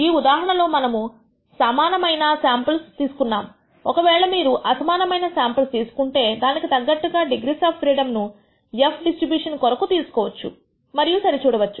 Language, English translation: Telugu, In this case we have equal number of samples we have taken, even if you are taken unequal samples we can appropriately choose the degrees of freedom for the f distribution and compare